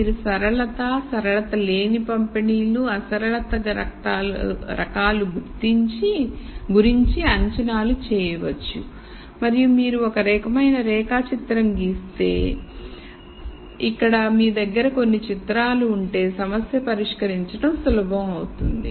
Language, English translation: Telugu, So, you could make assumptions about distributions about linearity and non linearity the type of non linearity and so on and here if you if you kind of draw a flowchart and have some pictures in your head then it becomes easier to solve this problem